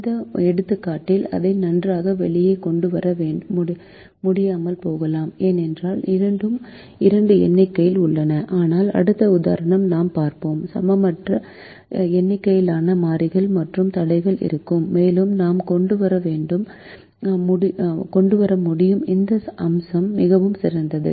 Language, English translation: Tamil, very important to understand that in this example, if we may not be able to bring it out very well because both are two in number, but the next example that we will see, we will have an unequal number of variables and constraints and we will be able bring this aspects much, much better